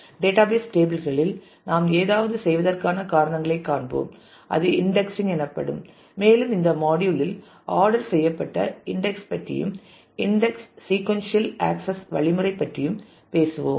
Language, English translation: Tamil, And we will see the reasons for which we do something on the database tables called indexing and we will talk about ordered index in this module and about the index sequential access mechanism